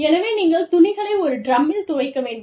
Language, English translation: Tamil, So, you would have cloths were washed in one